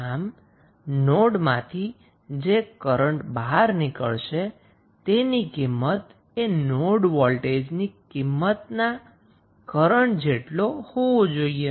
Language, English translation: Gujarati, So, the value of current going outside the node, this current would be the value of node voltage